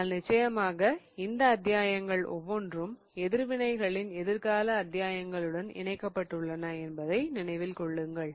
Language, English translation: Tamil, But of course, remember that each one of these foundation chapters is linked to the future chapters of reactions